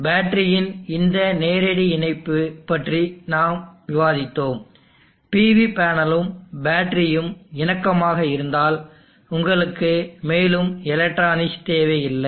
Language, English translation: Tamil, So we discussed about this direct connection of the battery if the PV panel and battery are compatible, then you do not need any further electronics